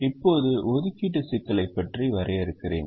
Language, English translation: Tamil, let me define the assignment problem now